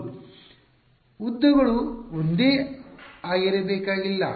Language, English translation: Kannada, The lengths need not be the same